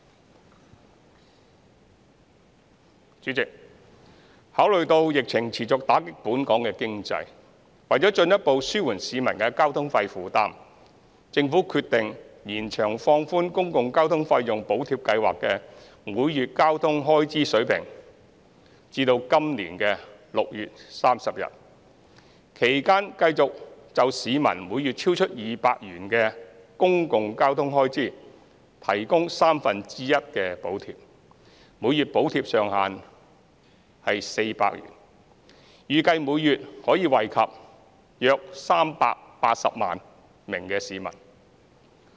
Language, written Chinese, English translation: Cantonese, 代理主席，考慮到疫情持續打擊本港經濟，為進一步紓緩市民的交通費負擔，政府決定延長放寬公共交通費用補貼計劃的每月交通開支水平至今年6月30日，其間繼續就市民每月超出200元的公共交通開支提供三分之一的補貼，每月補貼上限為400元，預計每月可惠及約380萬名市民。, Deputy President in the light of the ongoing impact of the epidemic on the local economy the Government has decided that the monthly public transport expenses threshold of the Public Transport Fare Subsidy Scheme will continue to be relaxed until June 30 this yearin order to further relieve the burden of transport expenses on the public . In the meantime the Government will continue to provide a subsidy amounting to one third of the monthly public transport expenses in excess of 200 subject to a monthly cap of 400 . It is estimated that around 3.8 million people will benefit each month